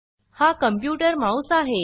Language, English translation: Marathi, This is the computer mouse